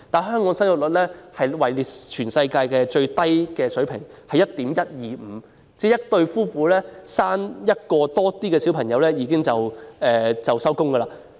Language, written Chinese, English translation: Cantonese, 香港的生育率屬全世界最低水平，只有 1.125 人，即一對夫婦只誕下1名小孩便"收工"。, However Hong Kongs fertility rate is the lowest in the world only 1.125 ie . a couple stop having children after they have a child